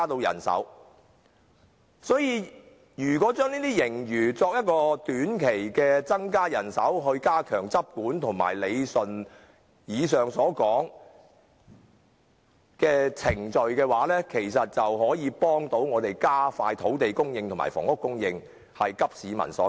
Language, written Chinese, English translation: Cantonese, 因此，如果把這些盈餘用以增加短期人手以加強執管和理順以上所說的程序，其實是有助加快土地供應和房屋供應的步伐，急市民所急。, Hence if the surplus can be used to increase manpower in the short run to step up enforcement and regulatory actions and rationalize the above procedures this will in fact help in speeding up the pace of land supply and housing supply in addressing the needs of the people . There are some more important issues